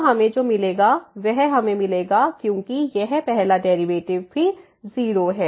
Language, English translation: Hindi, So, what we will get we will get because this first derivatives are also 0